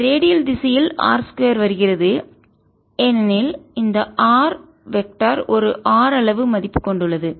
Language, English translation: Tamil, ok, r square comes because this, this r vector, has a magnitude r